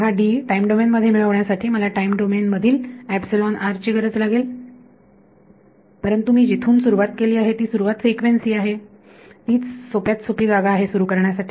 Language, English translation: Marathi, So, to get D in the time domain I need this epsilon r in time domain, but what I have started with is starting point is frequency domain that is the simplest place to start with